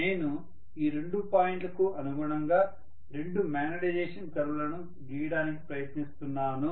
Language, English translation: Telugu, So if I tried to draw the two magnetization curves corresponding to these two points